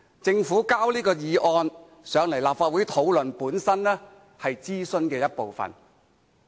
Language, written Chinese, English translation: Cantonese, 政府提交這項議案來立法會討論，本身也是諮詢的一部分。, After all the Governments motion for discussion in this Council is itself a step in the overall consultation process